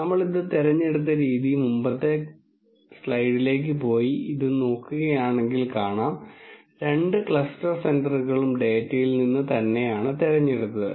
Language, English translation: Malayalam, The way we have chosen this, if you go back to the previous slide and look at this, the two cluster centres have been picked from the data itself